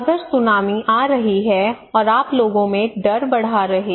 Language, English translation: Hindi, If tsunami is coming and you are increasing people fear